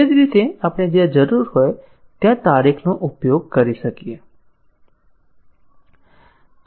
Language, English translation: Gujarati, Similarly, we can use the date wherever it is needed and so on